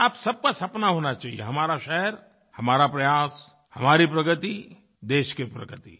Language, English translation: Hindi, And all of you must have a dream 'Our city our efforts', 'Our progress country's progress'